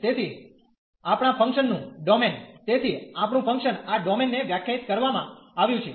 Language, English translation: Gujarati, So, our domain of the function so, our function is defined this domain